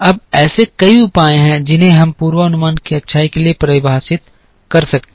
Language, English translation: Hindi, Now, there are several measures that we can define for the goodness of the forecast